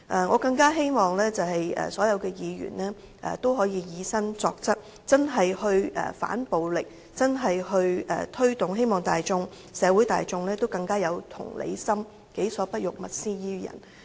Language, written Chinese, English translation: Cantonese, 我更希望所有議員都能以身作則，切實地反暴力，推動社會大眾更有同理心，己所不欲，勿施於人。, I all the more hope that all Members can lead by good personal example against violence in a practical manner promoting empathy among people in the society . Do not do to others what you do not want them to act in return